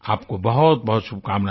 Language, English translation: Hindi, I wish you many felicitations